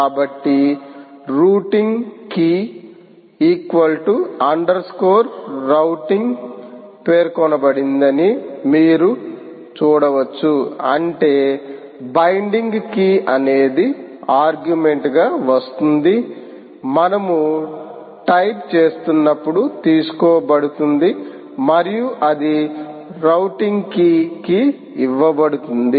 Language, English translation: Telugu, i am sorry, the routing key is specified here as a routing key is equal to underscore routing key, which means binding key, which will come as an argument while we type, will be taken and that will be given to the routing key